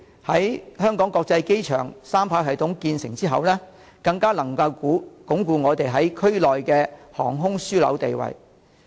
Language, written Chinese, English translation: Cantonese, 香港國際機場三跑系統在2024年建成之後，更能鞏固本港在區內的航空樞紐地位。, With the completion of the three - runway system at the Hong Kong International Airport in 2024 the role of Hong Kong as the aviation hub in the region will be further strengthened